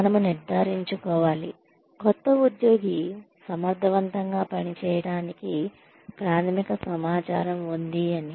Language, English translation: Telugu, We make sure, the new employee has the basic information to function effectively